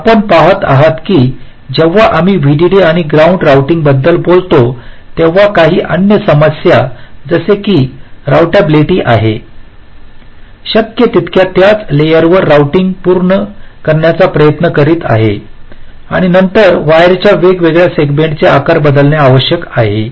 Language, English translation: Marathi, so you see that when we talk about vdd and ground routing, there are some other issues like routablity, trying to complete the routing on the same layer as possible, and then sizing of the different segments of the wires